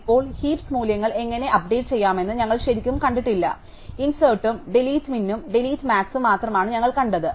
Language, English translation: Malayalam, Now, we have not really seen how to update heap values, we have only seen insert and delete min or delete max